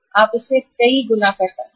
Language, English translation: Hindi, You can multiply this